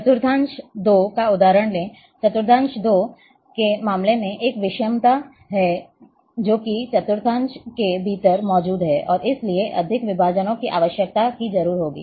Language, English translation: Hindi, Let’s take example of quadrant 2, in case of quadrant 2, there is a heterogeneity exists, within this quadrant, and therefore, more divisions would be required